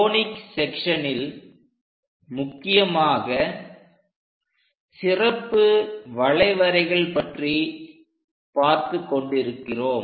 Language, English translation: Tamil, We are covering Conic Sections, especially on special curves